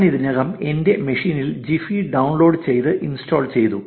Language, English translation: Malayalam, I have already downloaded and installed Gephi on my machine